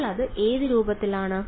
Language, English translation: Malayalam, So now, it is in the what form